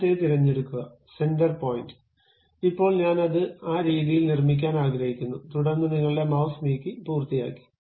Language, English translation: Malayalam, Now, pick first one, center point, now maybe I would like to construct it in that way too, then move your mouse, done